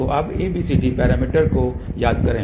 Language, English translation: Hindi, So, now, recall ABCD parameters